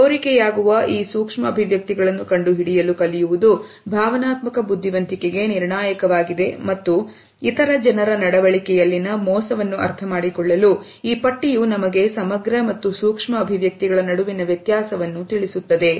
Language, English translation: Kannada, We cannot prevent them from taking place and learning to detect this leakage is critical to emotional intelligence as well as for understanding deception in the behavior of other people this list gives us the difference between macro and micro expressions